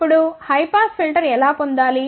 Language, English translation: Telugu, Now, how to get high pass filter